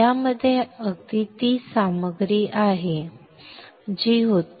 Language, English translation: Marathi, This contains exactly the same content as that was